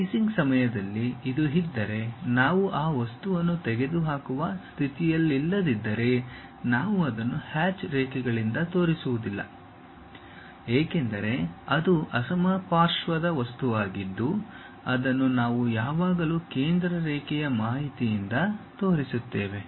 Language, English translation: Kannada, If this during the slicing, if we are not in a position to remove that material then we do not show it by hatched lines; because this is a symmetric object we always show it by center line information